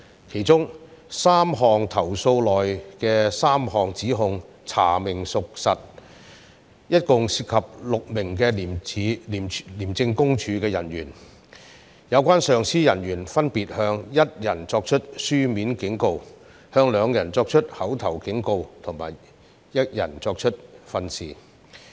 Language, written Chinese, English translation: Cantonese, 其中3宗投訴內的3項指控查明屬實，共涉及4名廉政公署人員，有關上級人員分別向當中1人作出書面警告、2人作出口頭警告及1人作出訓示。, The substantiated allegations concerned a total of four ICAC officers who were given written warning one officer verbal warning two officers or advice one officer by their senior officers